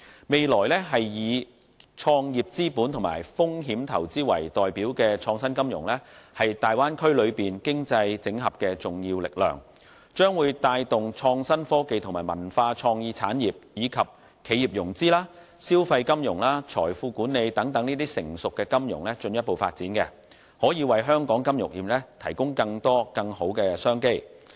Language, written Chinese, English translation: Cantonese, 未來以創業資本和風險投資為代表的創新金融，是大灣區內經濟整合的重要力量，將會帶動創新科技和文化創意產業，以及企業融資、消費金融和財富管理等成熟金融業務進一步發展，可以為香港金融業提供更多、更好的商機。, In the future innovative finance which is best represented by venture capital and risk investment will become an important impetus for the economic cooperation in the Bay Area . This impetus will drive forward the development of innovative technology cultural and creative industries and also the development of traditional financial services such as enterprise financing consumer financing and financial management so as to provide better business opportunities for Hong Kongs financial sector